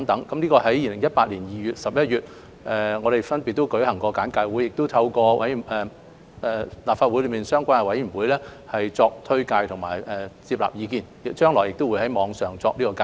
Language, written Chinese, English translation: Cantonese, 我們在2018年2月和11月分別舉行過簡介會和向立法會相關委員會簡介《條例草案》和徵詢意見，將來亦會在網上作介紹。, We held briefing sections in February and November 2018 respectively to brief the relevant committee of the Legislative Council on the Bill and solicit views . We will also give online briefing in future